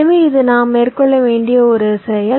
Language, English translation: Tamil, so this is a process we need to carry out